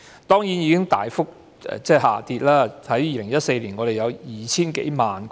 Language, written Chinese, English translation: Cantonese, 當然，現時已經大幅下跌 ，2014 年我們有 2,000 多萬個。, This is indeed a significant drop . Back in 2014 our throughput reached some 20 million TEUs